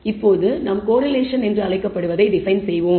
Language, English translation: Tamil, Now, let us define what we call correlation